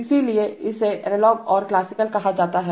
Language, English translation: Hindi, So therefore it is called analog and classical so similarly